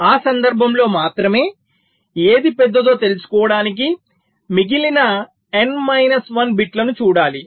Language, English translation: Telugu, only for that case we have to look at the remaining n minus one bits to find out which one is larger